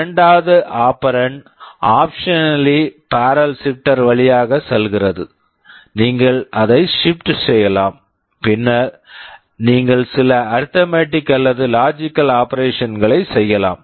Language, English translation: Tamil, The second operand optionally goes through the barrel shifter, you can shift it and then you can do some arithmetic or logic operations